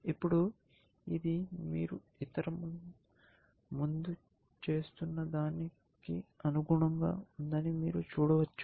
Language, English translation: Telugu, Now, you can see this is consistent with what you were doing earlier